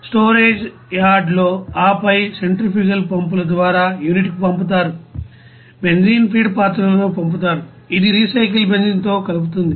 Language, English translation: Telugu, In the storage yard and then pump to the unit by the centrifugal pumps, benzene pumped into the feed vessel which mixes with the recycled benzene